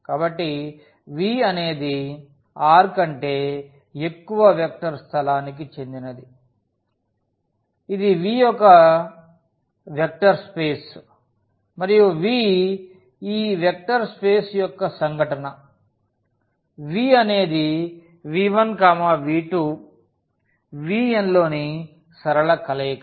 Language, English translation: Telugu, So, v belongs to a vector space over R which is V is a vector space and v small v is an event of this vector space V this is a linear combination of v 1, v 2, v 3, v n in V